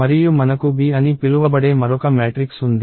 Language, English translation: Telugu, And we have another matrix called B